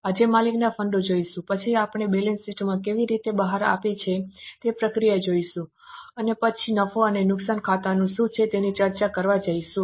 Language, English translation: Gujarati, Today we will go into owners fund, then we will see the process how the balance sheet emerges and then we will go to discuss what is a profit and loss account